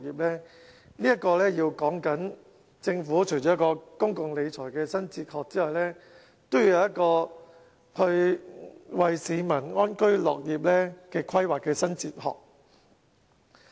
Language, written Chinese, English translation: Cantonese, 這裏說的，除了政府的公共理財新哲學之外，還要有一個為市民安居樂業的規劃新哲學。, Apart from a new philosophy of fiscal management the Government should also adopt a new philosophy of enabling the people access to housing and a happy life